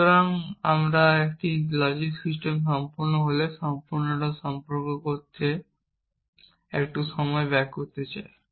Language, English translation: Bengali, So, I want to spend a little bit of time talking about completeness when is a logic system complete